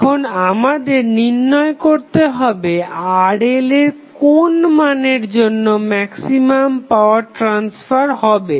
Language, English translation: Bengali, Now, we have to find the maximum power transfer at what value of Rl we get the maximum power transfer